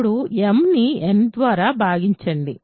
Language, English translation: Telugu, Now, divide m by n